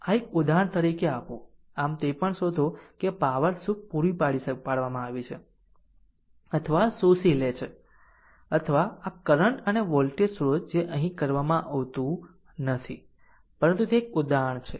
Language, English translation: Gujarati, So, one thing I can give you give you as an exercise, so you also find out what is the what is the power your supplied or absorbed by this current and the voltage source this is not done here, but it is an exercise for you